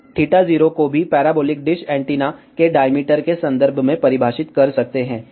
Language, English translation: Hindi, We can also define theta 0 in terms of the diameter of the parabolic dish antenna